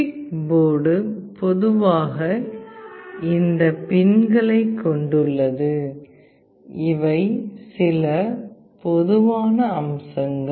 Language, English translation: Tamil, PIC board typically consists of these pins and these are some typical features